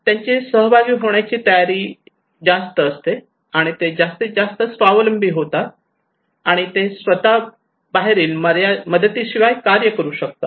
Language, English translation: Marathi, They have more willingness to participate, and they are more self reliant, and they can do by themselves without external help